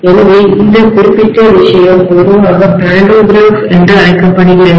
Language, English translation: Tamil, So this particular thing is generally known as the pantograph